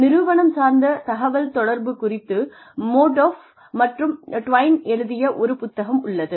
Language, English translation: Tamil, There is a book by, Modaff and DeWine, on organizational communication